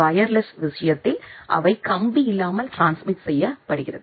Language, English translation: Tamil, In case of wireless, they are transmitted wirelessly